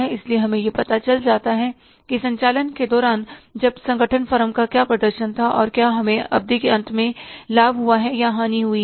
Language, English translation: Hindi, So we get to know that under operations when the organization was that what was the performance of the firm and whether we have resulted into the profit or loss at the end of the period